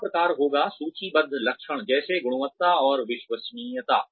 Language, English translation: Hindi, The third type would be, the lists traits, such as quality and reliability